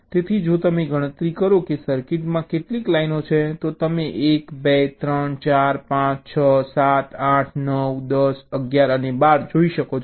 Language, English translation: Gujarati, so if you count that how many lines are there in a circuit, you can see one, two, three, four, five, six, seven, eight, nine, ten, eleven and twelve